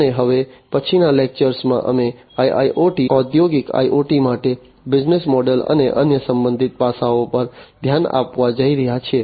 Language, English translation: Gujarati, And in the next lecture, we are going to look into the business models and the different other related aspects for IIoT, Industrial IoT